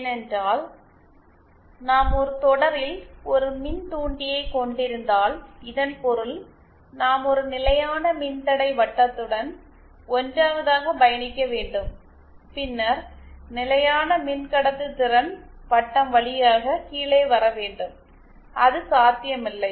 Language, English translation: Tamil, Because see if we connect, if we have an inductor in series, that means that we have to travel along a constant resistance circle 1st and then we have to come down via constant conductance circle which is not possible